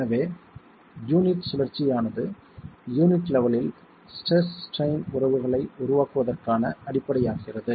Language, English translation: Tamil, So, the rotation of the unit then becomes the basis for formulating the stress strain relationships at the unit level